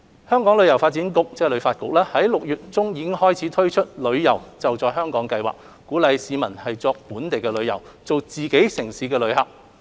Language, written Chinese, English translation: Cantonese, 香港旅遊發展局於6月中推出了"旅遊.就在香港"計劃，鼓勵市民作本地旅遊，做自己城市的旅客。, To this end the Hong Kong Tourism Board HKTB launched the Holiday at Home campaign in mid - June to encourage Hong Kong people to be tourists in our own city